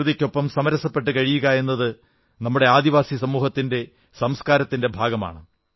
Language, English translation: Malayalam, To live in consonance and closed coordination with the nature has been an integral part of our tribal communities